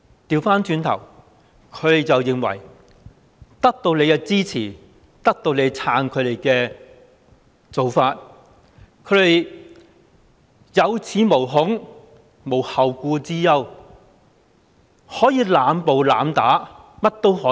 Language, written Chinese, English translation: Cantonese, 相反，他們認為得到政府的支持，政府撐他們的做法，他們有恃無恐，無後顧之憂，可以濫暴、濫打，為所欲為。, On the contrary believing that the Government supports their practices the Police have nothing to fear or worry about in abusing violence and committing arbitrary assaults at will